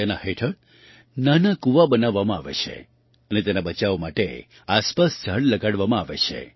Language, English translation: Gujarati, Under this, small wells are built and trees and plants are planted nearby to protect it